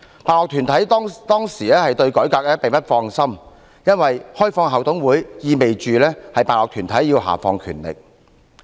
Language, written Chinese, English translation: Cantonese, 辦學團體當時對改革並不放心，因為開放校董會，意味着辦學團體要下放權力。, Sponsoring bodies were then uneasy about the reform for the opening up of management committees meant the devolution of power by the sponsoring bodies